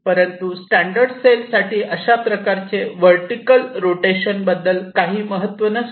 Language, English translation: Marathi, but again, i said for standard cell, this kind of vertical rotation does not make a sense